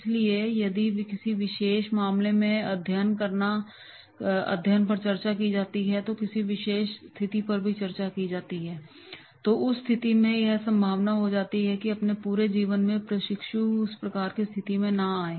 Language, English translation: Hindi, So, if any particular case study is discussed and a particular situation has been discussed, then that situation it is possible that the trainee in his whole life may not come across that type of situation